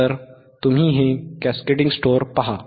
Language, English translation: Marathi, So, you see the cask these cascading stores